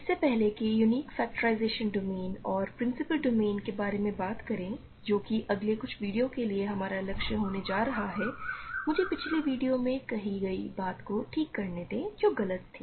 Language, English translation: Hindi, Before I talk about unique factorization domains and principle ideal domains which is going to be our goal for the next few videos, let me correct something I said in a previous video which was incorrect, ok